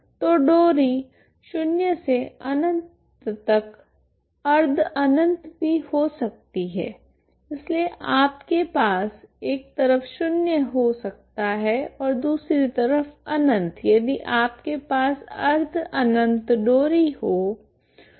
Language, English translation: Hindi, So string can be zero to infinity semi infinite also it can be so you may have one side zero other side is infinite if you have semi infinite string ok